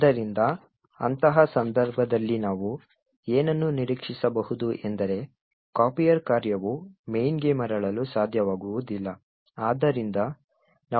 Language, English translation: Kannada, So, in such a case what we can expect is that the copier function will not be able to return back to main